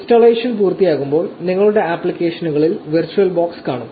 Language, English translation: Malayalam, So, once the installation is complete, you should see virtual box in your applications